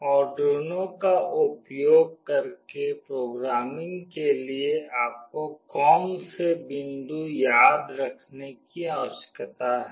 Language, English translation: Hindi, What are the points that you need to remember for programming using Arduino